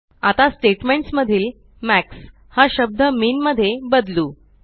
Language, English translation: Marathi, Now, lets replace the term MAX in the statement with MIN